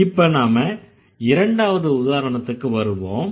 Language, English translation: Tamil, Now let's come to the second example or the second sentence